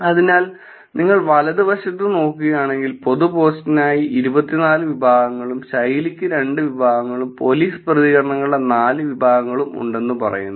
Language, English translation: Malayalam, So, if you look at in the right hand side, it is says twenty four categories for the public post and two categories for the style, and four categories of the police responses